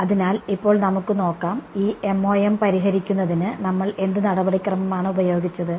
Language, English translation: Malayalam, So, now let us and what procedure did we use for finding solving this MoM